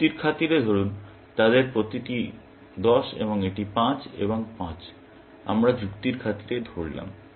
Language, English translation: Bengali, Let us, for argument sake, that each of them is 10 and this is 5 and 5; let us say for argument sake